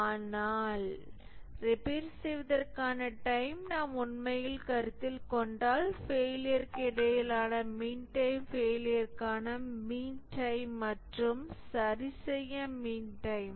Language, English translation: Tamil, But if we really consider the time to repair, then the mean time between failure is the mean time to failure plus the mean time to repair